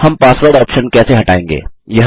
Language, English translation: Hindi, How do we remove the password option